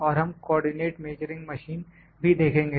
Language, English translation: Hindi, And we will see the co ordinate measuring machine